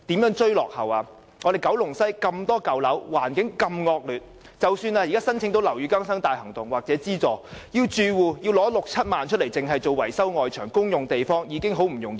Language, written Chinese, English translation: Cantonese, 九龍西的舊樓為數眾多，而且環境惡劣，即使住戶可以申請樓宇更新大行動的資助，但要他們支付六七萬元維修外牆等公用地方實在不容易。, Old buildings are commonly found in West Kowloon and they are of poor environment . Even if the residents can receive financial assistance under the Operation Building Bright OBB it is in no way easy for them to pay 60,000 to 70,000 for the maintenance of common areas of their buildings such as the external walls